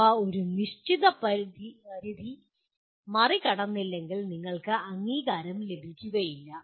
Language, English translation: Malayalam, And they will be, unless you cross a certain threshold you will not be accredited